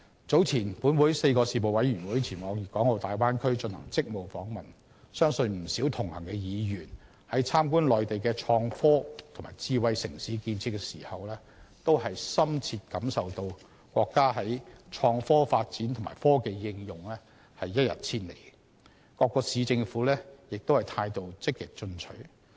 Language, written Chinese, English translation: Cantonese, 早前本會4個事務委員會前往粵港澳大灣區進行職務訪問，相信不少同行的議員在參觀內地的創科和智慧城市的建設時，均深切感受到國家的創科發展和科技應用一日千里，各市政府的態度積極進取。, Four Panels of this Council earlier went on a duty visit to the Guangdong - Hong Kong - Macao Bay Area . I believe a number of participating Members must have been when visiting the innovation and technology and smart city infrastructure on the Mainland deeply impressed by the rapid development in innovation and technology and technological application of the country and the proactive attitude of various Municipal Governments